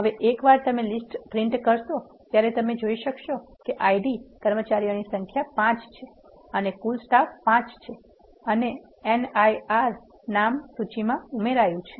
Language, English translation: Gujarati, Now, once you print the list you can see that the IDs, number of employees are 5 and total staff is 5 and the name Nirav is getting added to the list